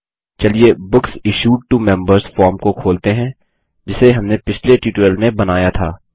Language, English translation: Hindi, Let us open Books Issued to Members form that we created in the last tutorial